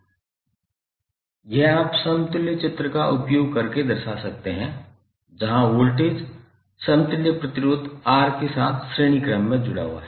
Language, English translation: Hindi, This you can represent using the equivalent figure where voltage is connected in series with resistance R equivalent